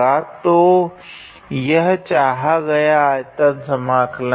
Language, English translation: Hindi, So, this is the required volume integral